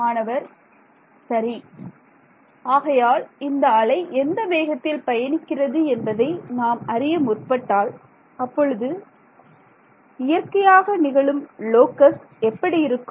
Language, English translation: Tamil, So, if I ask you if I want to find out at what speed is this wave travelling then what is that physically known as is the locus of